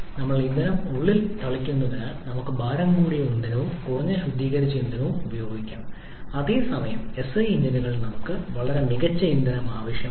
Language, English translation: Malayalam, As we are spraying the fuel inside, so we can use a heavier fuel and also less refined fuel whereas in SI engines, we need very fine fuel